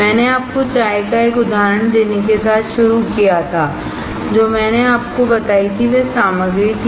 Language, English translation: Hindi, I started with giving you an example of the tea, that the things that I told you were the ingredients